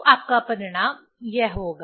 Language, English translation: Hindi, So, your result will be this